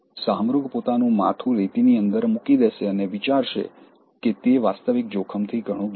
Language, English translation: Gujarati, The ostrich will put its head inside the sand and think that it is out of danger from reality